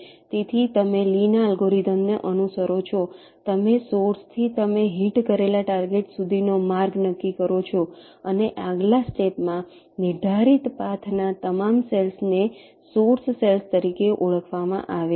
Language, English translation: Gujarati, so you follow lees algorithm: you determine the path from the source to the target you have hit and in the next step, all the cells in the determined path are identified as source